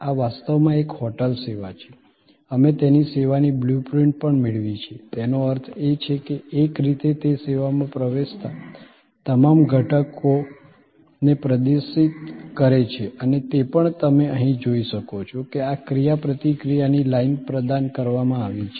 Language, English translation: Gujarati, This is actually a hotel service, we also got it service blue print in; that means, in a way it exhibits all the elements that go in to the service and it also as you can see here, that this line of interaction is provided